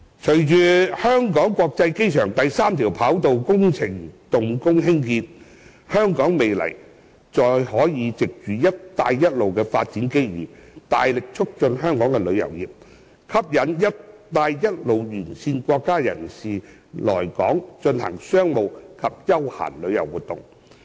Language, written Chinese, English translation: Cantonese, 隨着香港國際機場第三條跑道工程動工興建，香港未來可藉"一帶一路"的發展機遇，大力促進香港的旅遊業，吸引"一帶一路"沿線國家人士來港進行商務及休閒旅遊活動。, With the commencement of the third runway project at the Hong Kong International Airport Hong Kong can leverage the development opportunities of the Belt and Road Initiative ahead to vigorously promote Hong Kongs tourism industry and attract people from the Belt and Road countries to Hong Kong for business and leisure travel